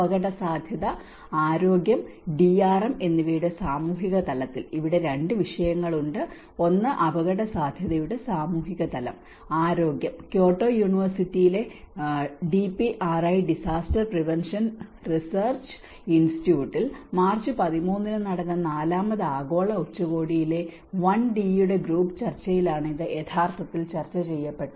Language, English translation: Malayalam, On social dimension of risk and health and DRM, here there are 2 topics, one is social dimension of risk and also the health and this was actually discussed in the Fourth Global Summit which is a Group Discussion of 1D on 13th March in DPRI Disaster Prevention Research Institute in Kyoto University